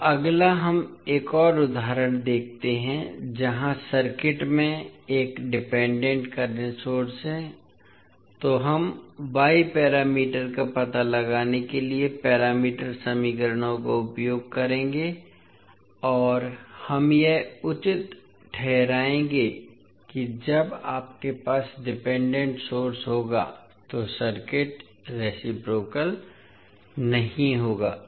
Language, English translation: Hindi, Now, next let us see another example, here the circuit is having one dependent current source, so we will use the parameter equations to find out the y parameters and we will justify that when you have the dependent source the circuit will not be reciprocal